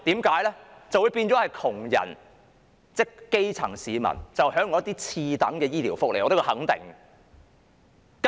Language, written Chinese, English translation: Cantonese, 這樣就變相令窮人即基層市民享用次等的醫療福利，這點我可以肯定。, This would mean that the poor that is the grass roots would have to use second - class healthcare benefits and I am sure of that